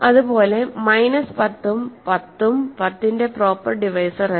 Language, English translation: Malayalam, So, 10 and minus 10 are not proper divisors, 1 is not a proper divisor